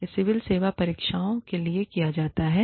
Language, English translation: Hindi, This is done, in the civil services examinations